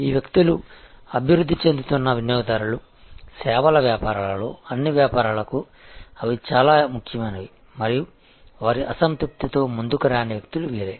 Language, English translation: Telugu, These are the people, who are the emerging customers; they are very, very important for all businesses in services businesses and these are the people, who do not come forward with their dissatisfaction